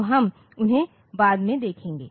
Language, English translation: Hindi, So, we will see those later